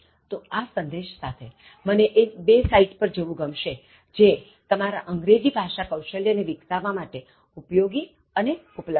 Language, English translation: Gujarati, So, with that message, I would like you to go to two interesting sites which are available for developing your English Skills freely and are very useful